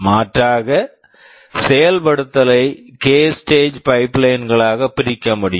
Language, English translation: Tamil, Alternatively, I can divide the execution into k stages of pipeline